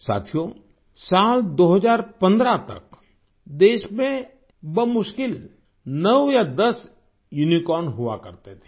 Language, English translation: Hindi, till the year 2015, there used to be hardly nine or ten Unicorns in the country